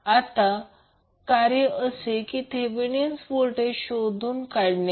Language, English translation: Marathi, Next task is, to find out the Thevenin voltage